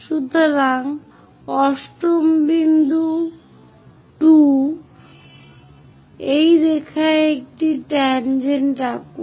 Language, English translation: Bengali, So, 8 point 2 draw a tangent join this line